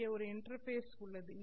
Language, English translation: Tamil, Now this is one more interface